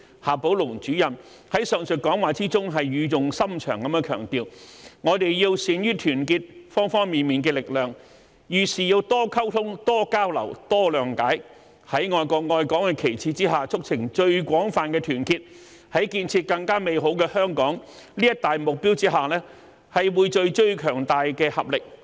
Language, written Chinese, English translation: Cantonese, 夏寶龍主任在上述講話中語重心長地強調，我們要善於團結方方面面的力量，遇事多溝通、多交流、多諒解，在愛國愛港的旗幟下促成最廣泛的團結，在建設更美好的香港這一大目標下匯聚最強大的合力。, Director XIA Baolong emphasized earnestly in his speech above that we should be adept at uniting the strengths of all sides and when facing any issue we should communicate more exchange more and be more understanding so as to foster the broadest unity under the banner of patriotism and love for Hong Kong and to gather the strongest synergy under the major goal of building a better Hong Kong